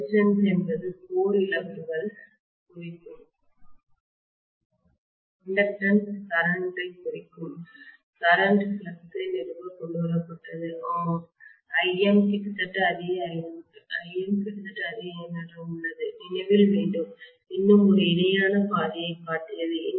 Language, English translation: Tamil, The Resistance is representing the core losses the inductance is representing the current carried to established a flux, yeah, Im is almost same as I naught, I am going to come to that IM is almost same as I naught please remember that I have also shown one more parallel path